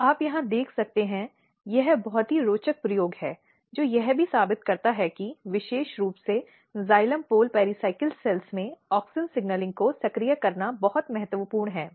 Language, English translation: Hindi, And you can see here this is very interesting experiment which also proves that it is very important to activate auxin signalling very specifically in xylem pole pericycle cells